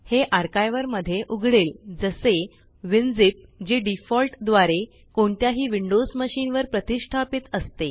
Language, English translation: Marathi, It will open in an archiver like Winzip, which is installed by default on any windows machine